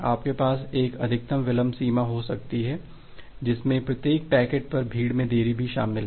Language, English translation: Hindi, You can have a maximum delay bound which also include the congestion delay on every individual packet